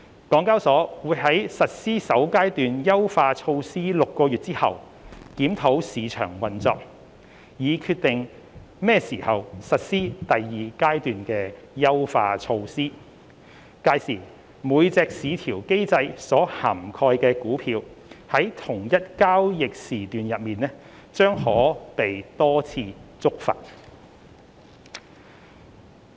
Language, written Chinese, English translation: Cantonese, 港交所會在實施首階段優化措施6個月後檢討市場運作，以決定何時實施第二階段優化措施，屆時每隻市調機制所涵蓋的股票在同一交易時段內將可被多次觸發。, HKEx will review the market operation six months after the first phase of enhancement measures and decide on the timing to implement the second phase of enhancement measures . Multiple triggers per stock covered under VCM per trading session would be allowed by then